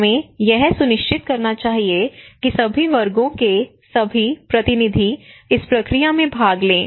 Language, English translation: Hindi, So we should ensure, try to ensure that all the representative of all sections should participate into this process